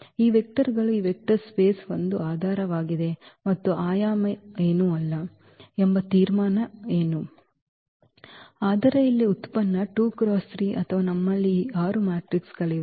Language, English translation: Kannada, So, what is the conclusion that these vectors form a basis for the this vector space and the dimension is nothing, but the product here 2 by 3 or we have this 6 matrices